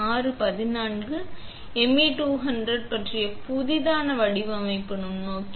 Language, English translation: Tamil, Because of the MA200 compacts newly designed microscope